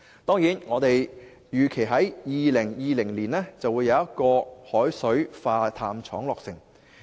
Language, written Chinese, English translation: Cantonese, 當然，我們預期在2020年會有海水化淡廠落成。, Certainly we expect that a desalination plant will be built in 2020